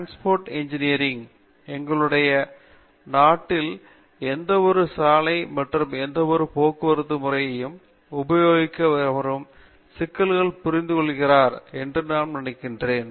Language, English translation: Tamil, Then we have Transportation engineering, which I am sure anybody who has used any road or any system of transportation in our country understands the intricacy and the complications